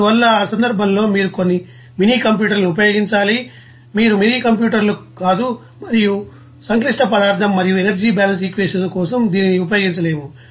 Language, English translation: Telugu, So, in that case you have to use some you know of minicomputers no that you know minicomputers, and it cannot be you know used for this you know complex material and energy balance equations